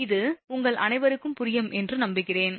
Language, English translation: Tamil, So, this is I hope this is understandable to all of you right